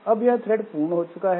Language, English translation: Hindi, So this thread is this thread is over